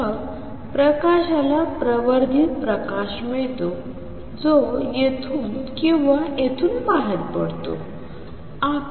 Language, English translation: Marathi, Then the light gets amplified light which comes out of here or here would be amplified